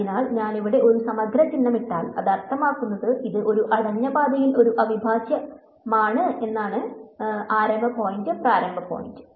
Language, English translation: Malayalam, So, when I put on the integral sign a loop over here like this it means that it is a integral over a closed path starting point initial point is the same and this is going to be zero right